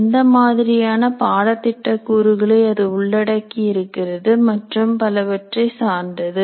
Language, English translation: Tamil, What kind of curricular component does it belong to and so on